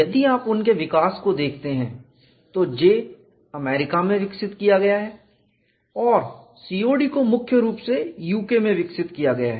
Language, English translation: Hindi, If you look at that development, J is developed in the US and COD is primarily developed in the UK